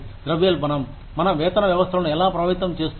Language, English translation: Telugu, How does inflation, affect our pay systems